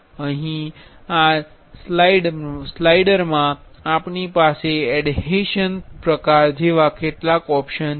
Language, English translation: Gujarati, Here in this slicer, we have some options for like adhesion type